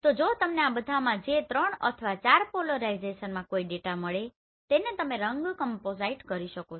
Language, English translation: Gujarati, So in case if you find a data in all these 3 or 4 polarization you can generate a color composite